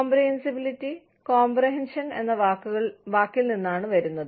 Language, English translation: Malayalam, Comprehensibility, comes from the word, comprehension